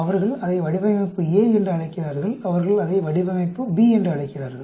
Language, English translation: Tamil, They call it design A, they call it design B